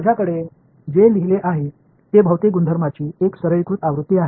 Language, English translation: Marathi, I have what I have written is a very simplified version of material properties